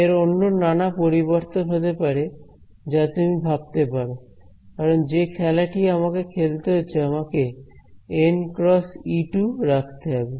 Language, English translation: Bengali, There are other possible variations of this you can imagine that since this game that I am playing I have to keep en cross E 2